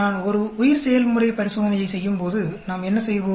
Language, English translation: Tamil, Like in when I am doing a bio process experiment, what do we do